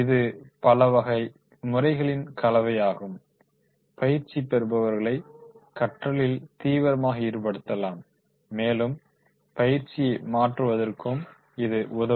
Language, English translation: Tamil, That is a mix of methods can actually engage trainees in learning and can help transfer of training to occur